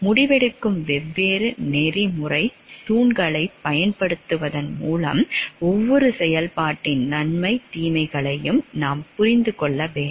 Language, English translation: Tamil, And we will have to see by using the different ethical pillars of decision making we have to understand the pros and cons of each of the activities